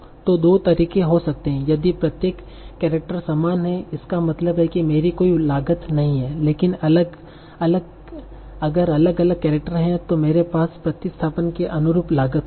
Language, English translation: Hindi, If these characters are the same, that means I am not having any cost but if they are different characters I will have a cost corresponding to the substitution